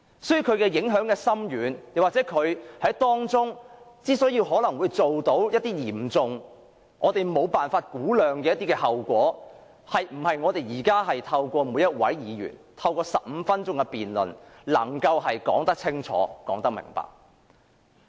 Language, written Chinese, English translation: Cantonese, 所以，其影響深遠，當中可能會導致一些我們無法估量的嚴重後果，並非我們現在透過每一位議員發言15分鐘的辯論，便能夠說得清楚明白。, Therefore given the profound impact it may lead to unfathomable severe consequences which cannot be made clear through our present debate in which each Member can speak for just 15 minutes . This is such a simple truth